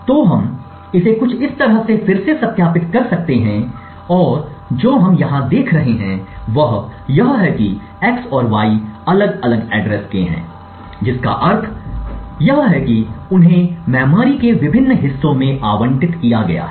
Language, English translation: Hindi, So, we can verify this again by something like this and what we see over here is that x and y are of different addresses meaning that they have been allocated to different chunks of memory